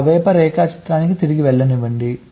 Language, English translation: Telugu, let me go back to that rapper diagram here